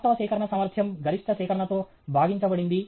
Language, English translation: Telugu, Actual collection efficiency divided by the maximum collection